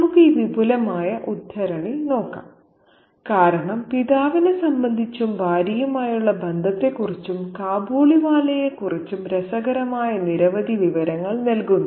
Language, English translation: Malayalam, Let's take a look at this extended excerpt because it gives us several interesting information in relation to the father and in relation to his young wife as well and in turn about the Kabaliwala too